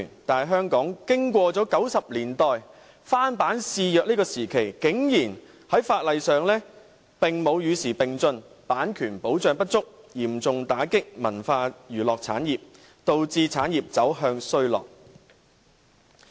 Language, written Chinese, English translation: Cantonese, 但是，香港經過了1990年代翻版肆虐的時期，法例竟然沒有與時並進，版權保障不足，嚴重打擊文化娛樂產業，導致產業走向衰落。, However even though Hong Kong experienced rampant copyright infringement in the 1990s the law has not progressed abreast of the times . Inadequate copyright protection has dealt a severe blow to the cultural and entertainment industry and led to its decline